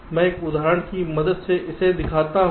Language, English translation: Hindi, so let us illustrate this with the help of an example